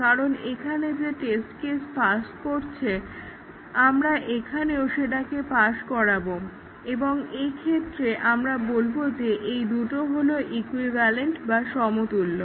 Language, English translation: Bengali, Now, they are actually same because the test case that passes here, we will also pass here and we say that these two are equivalent